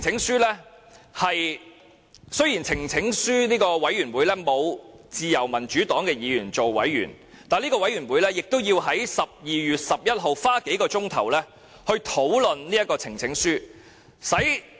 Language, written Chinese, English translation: Cantonese, 雖然呈請書委員會內沒有自由民主黨的議員擔任委員，但該委員會也要在12月11日花數小時討論這項呈請書。, Though no Liberal Democrat Member of Parliament serves as a member of the Committee the Committee still spent several hours discussing this petition on 11 December